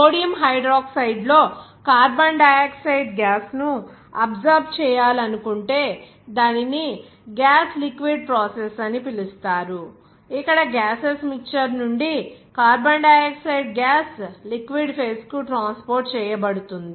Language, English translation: Telugu, If you want to absorb the carbon dioxide gas in a Sodium Hydroxide, then it will be called a gas liquid process, where carbon dioxide gas from the gaseous mixture to be transported to the liquid phases or transferred to the liquid phases